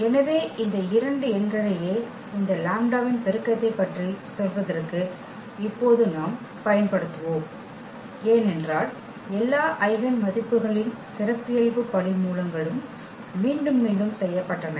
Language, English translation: Tamil, So, these are the two numbers which we will now use for telling about the multiplicity of this lambda, because we have seen in several examples the characteristic, roots all the eigenvalues were repeated